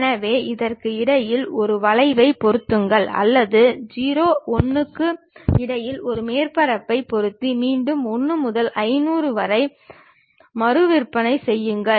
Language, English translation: Tamil, So, fit a curve in between that or fit a surface in between 0, 1 and again rescale it up to 1 to 500